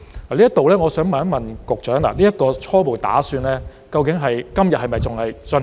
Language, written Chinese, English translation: Cantonese, 就這方面，我想問局長，這個初步打算究竟在今天是否仍在進行？, In this connection may I ask the Secretary whether this preliminary plan is still ongoing today?